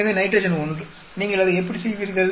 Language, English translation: Tamil, So, nitrogen 1, how do you do that